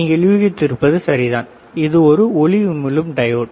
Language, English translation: Tamil, It is right you have guessed is correctly, what is this light emitting diode